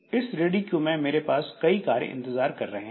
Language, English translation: Hindi, So, in this ready queue I have got a number of jobs waiting